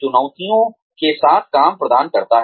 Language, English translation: Hindi, With the challenges, the work provides